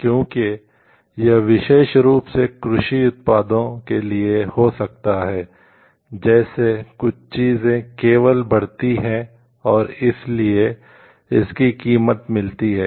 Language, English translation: Hindi, Because it may so happen especially in kinds for agricultural products like certain things are only grown somewhere and it gets his value due to that